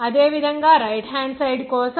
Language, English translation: Telugu, Similarly, for the right hand side